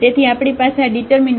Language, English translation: Gujarati, So, we have this determinant